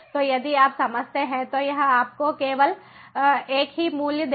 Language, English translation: Hindi, so the, even if you sense it, will give you merely the same value